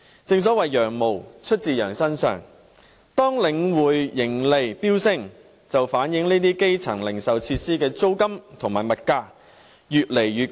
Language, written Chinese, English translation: Cantonese, 正所謂"羊毛出自羊身上"，當領展盈利飆升，便反映這些基層零售設施的租金和物價越來越貴。, As the saying goes the fleece comes off the sheeps back so when the profits of Link REIT soar this means the rents and prices of goods in these retail facilities for the grass roots are also getting more expensive